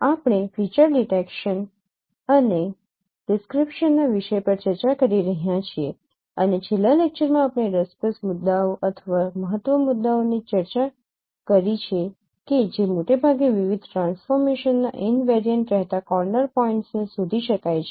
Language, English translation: Gujarati, We are discussing the topic of feature detection and description and in the last lecture we discussed how the interesting points or key points which will remain mostly invariant of different transformation, those can be detected, those are the corner points